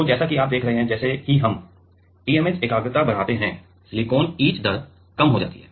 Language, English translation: Hindi, So, as you are seeing that; as we increase the TMAH concentration then, the silicon etch rate decreases